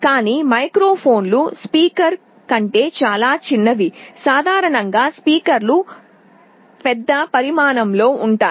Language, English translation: Telugu, But, microphones are much smaller than a speaker, typically speakers are large in size